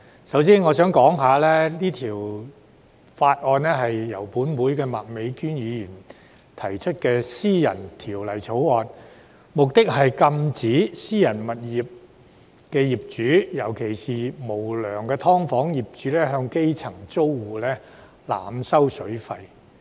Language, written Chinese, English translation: Cantonese, 首先必須交代，是項《條例草案》是由本會麥美娟議員提出的私人條例草案，目的是禁止私人物業的業主，尤其是無良的"劏房"業主向基層租戶濫收水費。, I must first explain that the Bill is a private bill introduced by Ms Alice MAK a Member of this Council with the purpose of prohibiting landlords of private properties especially unscrupulous landlords of subdivided units from overcharging grass - roots tenants for water